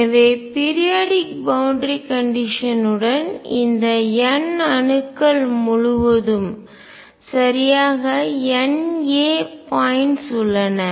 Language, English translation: Tamil, So, with periodic boundary this condition over n atoms, there are exactly N a points all right